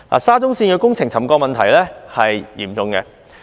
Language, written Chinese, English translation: Cantonese, 沙中線工程的沉降問題嚴重。, The problem of settlement related to the SCL Project is serious